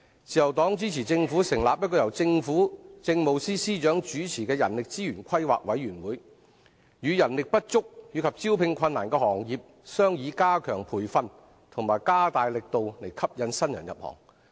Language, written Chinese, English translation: Cantonese, 自由黨支持政府成立由政務司司長主持的人力資源規劃委員會，與人力不足及招聘困難的行業商議加強培訓及加大力度吸引新人入行。, The Liberal Party supports the discussion between the governments Human Resources Planning Committee chaired by the Chief Secretary for Administration and the industries which are understaffed or faced with recruitment difficulties to step up training and increase efforts to attract newcomers